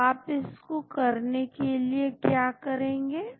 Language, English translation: Hindi, So, how do you go about doing that